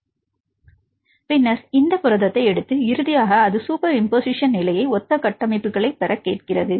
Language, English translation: Tamil, So, then take this protein and finally, it asks for the superimposition get the similar structures